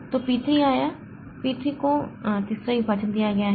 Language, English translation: Hindi, So, then P3 came P3 is given the third partition